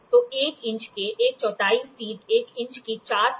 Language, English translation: Hindi, So, 1 quarter of an inch 3 by 4th of an inch